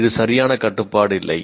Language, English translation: Tamil, It is not exactly the control